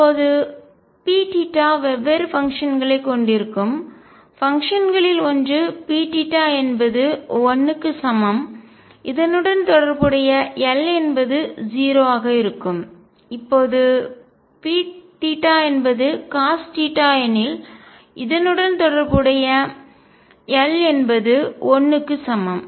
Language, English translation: Tamil, Now and p theta are different functions, one of the functions is P theta equals 1 corresponding l will be 0, P theta equals cosine of theta corresponding l is 1